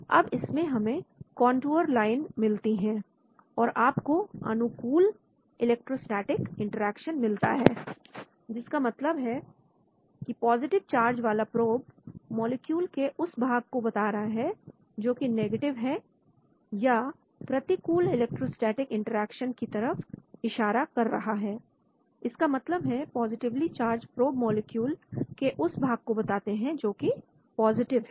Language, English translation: Hindi, So we get a contour line on this and you can have favorable electrostatic interaction that means with positively charged probe indicate molecular regions which are negative in nature or unfavorable electrostatic interaction that means positively charged probe indicate molecular regions are positive in nature